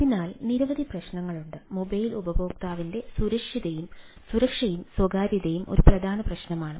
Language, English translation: Malayalam, so there are several issues: security and privacy of the mobile user